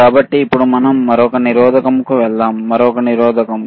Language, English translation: Telugu, So now let us go to another resistance, right another resistor